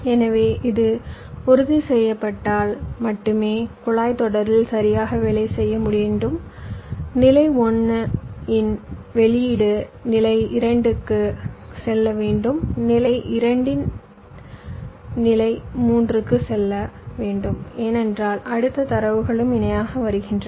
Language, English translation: Tamil, so if this is ensured, only then the pipelining should work properly that the, the output of stage one should go to stage two, stage two go to stage three, because the next data is also coming parallely